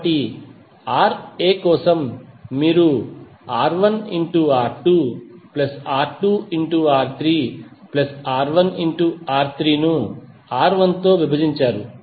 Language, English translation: Telugu, So for the Ra you will get R1 R2 plus R2 R3 plus R3 R1 divided by R1